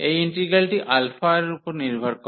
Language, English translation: Bengali, This integral depends on alpha